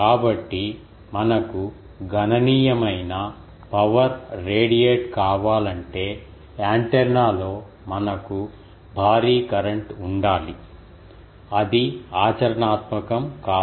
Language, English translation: Telugu, So, if we want to have a sizable ah amount of power radiated, we need to have a huge current in the antenna, which is not practical